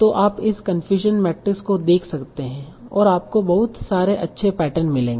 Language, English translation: Hindi, So you can look at this confusion matrix and you will find a lot of nice patterns